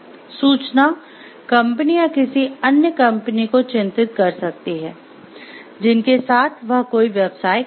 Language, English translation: Hindi, The information might concern ones company or another company with which one does business